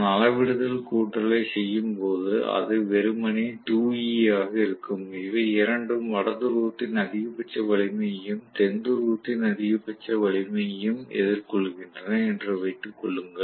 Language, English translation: Tamil, So, when I do the scalar addition, it is going to be simply 2E, assuming that both of them are facing the maximum strength of North Pole and maximum strength of South Pole